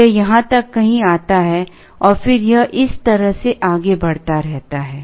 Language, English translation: Hindi, It comes somewhere up to here and then it keeps moving like this